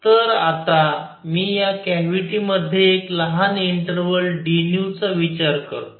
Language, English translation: Marathi, So, now I consider in this cavity a small interval of d nu